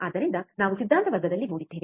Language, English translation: Kannada, So, we have seen in the theory class